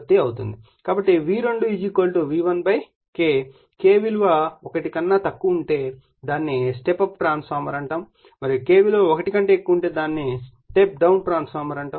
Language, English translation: Telugu, Therefore, V2 = V1 / K, if K less than 1 then this call step up transformer and if K your greater than one it is called step down transformer